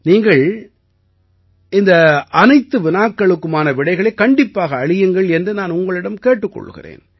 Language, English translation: Tamil, I urge you to answer all these questions